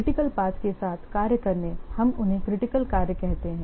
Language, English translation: Hindi, The tax along the critical paths, we call them as critical tax